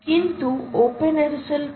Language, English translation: Bengali, so what is openssl